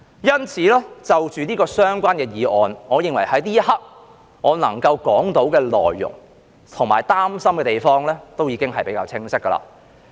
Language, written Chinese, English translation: Cantonese, 因此，就這項議案來說，我認為在這一刻，我想表達的及我擔心的地方也比較清晰了。, Therefore with regard to this motion I think at this moment in time I have made myself quite clear about what I wish to express and what I am worried about